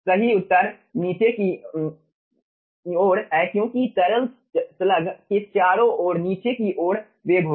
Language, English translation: Hindi, correct answer is downward, because liquid will be having downward velocity around the slug, okay